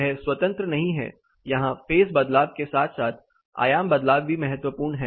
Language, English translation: Hindi, This is not independent; it is the phase shift as well as the amplitude shift which is important here